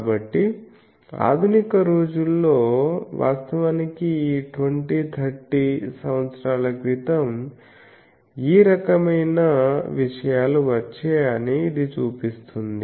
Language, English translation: Telugu, So, this shows that in modern days the actually this 20 30 years back this type of things came